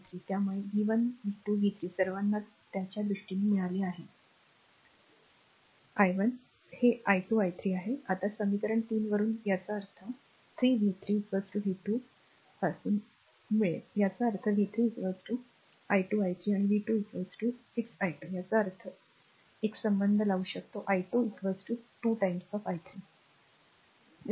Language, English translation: Marathi, So, v 1 v 2 v 3 all you have got in terms of it is i 1 it is i 2 i 3 , now from equation 3; that means, from equation 3 v 3 is equal to v 2 ; that means, v 3 is equal to 12 i 3 and v 2 is equal to 6 i 2 that means, we have got an relation i 2 is equal to 2 i 3